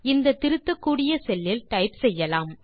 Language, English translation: Tamil, We can type in the editable cell